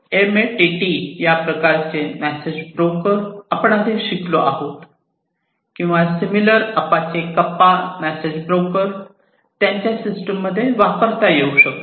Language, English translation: Marathi, Message brokers such as MQTT, which we have studied before or similarly Apache Kafka could be used as message brokers in their system